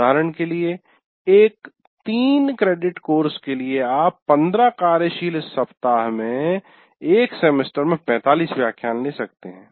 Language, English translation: Hindi, For example, a three credit course will take about even if you take 15 weeks, working weeks, it is 45 lectures in a semester